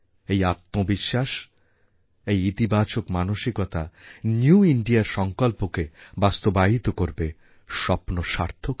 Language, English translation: Bengali, This self confidence, this very positivity will by a catalyst in realising our resolve of New India, of making our dream come true